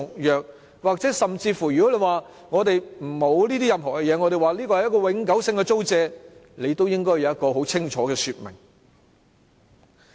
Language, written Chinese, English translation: Cantonese, 如果說我們沒有任何這些方面的安排，因為這是永久性的租借，那麼，也應該有一個很清楚的說明。, Even if they say that the lease arrangement is to be a permanent one and any such clauses are thus not required they should still give a clear explanatory note